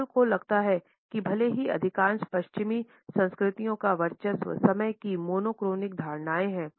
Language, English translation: Hindi, Hall feels that even though most of the western cultures are dominated by the monochronic perception of time